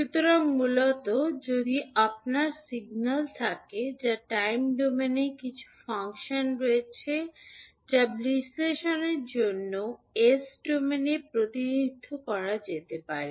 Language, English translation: Bengali, So, basically if you have signal which have some function in time domain that can be represented in s domain for analysis